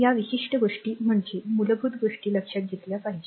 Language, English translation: Marathi, This certain things I mean basic thing you have to keep it in mind right